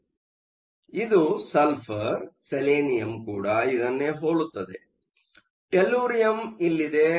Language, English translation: Kannada, So, this one is sulphur; selenium is also very similar; tellurium is here